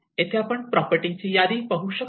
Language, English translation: Marathi, Like here you can see a list of properties